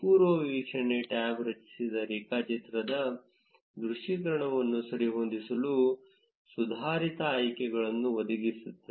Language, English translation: Kannada, The preview tab provides advanced option to adjust the visualization of the generated graph